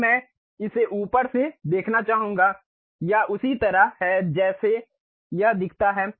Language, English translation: Hindi, Now, I would like to see it from top, this is the way it really looks like